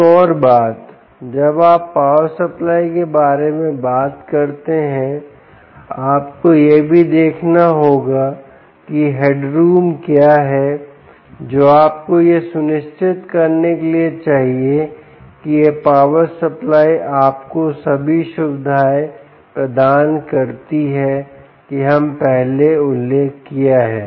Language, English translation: Hindi, another thing: when you talk about the power supply, ah, you will also have to be looking at what is the head room that you need in order to ensure that this power supply gives you all the features that we mentioned previously, like stability